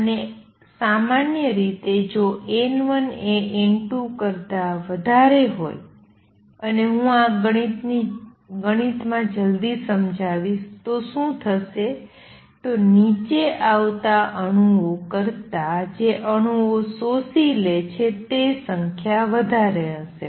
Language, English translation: Gujarati, And normally, if N 1 is greater than N 2 and I will show this mathematically soon then what would happen is that atoms that are getting absorbed would be larger in number then the atoms that are coming down